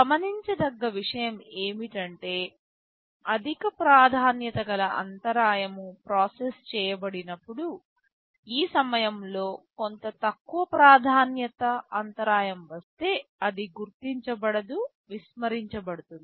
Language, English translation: Telugu, The point to note is that when a high priority interrupt is being processed, if some lower priority interrupt comes in the meantime; they will not be acknowledged, they will be ignored